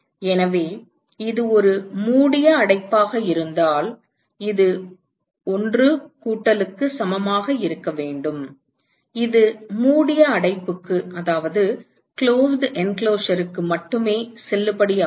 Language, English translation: Tamil, So, this should be equal to 1 plus if it is a closed enclosure note that this is valid only for a closed enclosure